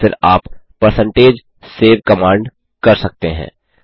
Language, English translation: Hindi, So, This is possible by using the percentage save command